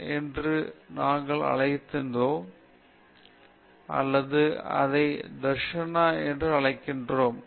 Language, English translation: Tamil, Scriptures we called it as Dharshana or we call it as Dharshana